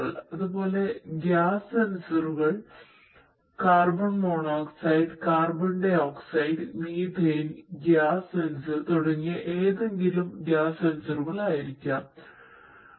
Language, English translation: Malayalam, So, these are the chemical sensors likewise gas sensors could be any of the gas sensors like carbon monoxide, carbon dioxide, methane, gas sensor; there is those nox gas sensors and so on